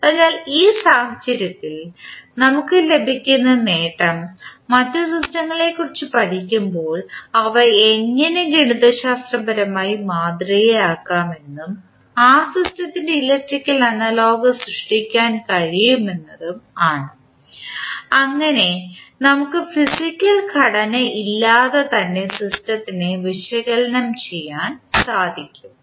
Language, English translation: Malayalam, So in this case, the advantage which we will get that when we study the other systems we will come to know that how they can be modeled mathematically and we can create the electrical analogous of that system so that we can analyze the system without any physical building of that particular model